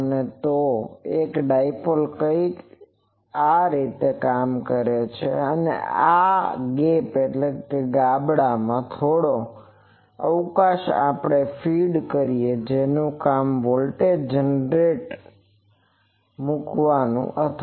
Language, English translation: Gujarati, And so, a dipole is something like this, and there is this gap in this gap we put let us say a some feed whose job is to put the voltage generator